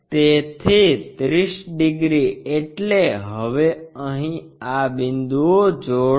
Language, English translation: Gujarati, So, 30 degrees means here now join these points